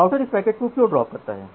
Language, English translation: Hindi, Why the router drops this packet